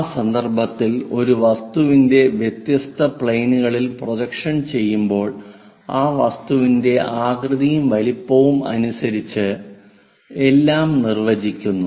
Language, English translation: Malayalam, In that context projection of object on to different views, different planes defines everything about that object in terms of shape, size, under the details